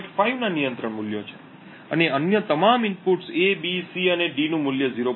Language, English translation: Gujarati, 5 each and all other inputs A, B, C and D have a value of 0